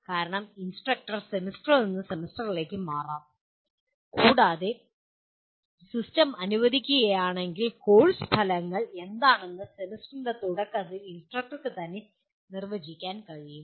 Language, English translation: Malayalam, Because instructor may change from semester to semester and if the system permits instructor himself can define at the beginning of the semester what the course outcomes are